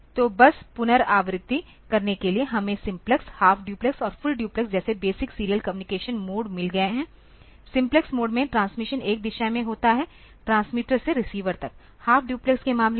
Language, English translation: Hindi, basic serial communication modes like simplex, half duplex and full duplex in simplex mode the transmission is in one direction from transmitter to receiver in case of half duplex